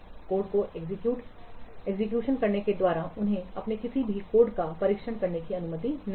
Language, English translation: Hindi, They cannot use what they are not allowed to test any of their code by what executing the code